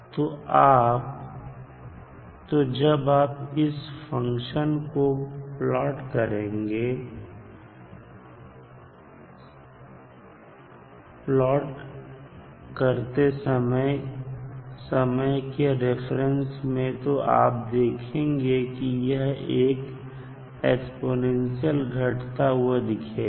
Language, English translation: Hindi, So, when you plot the, this particular function with respect to time what you will see that it is exponentially decaying